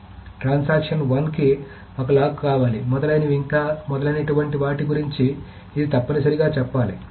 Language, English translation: Telugu, So it must say the transaction wants a lock, et cetera, and so on so forth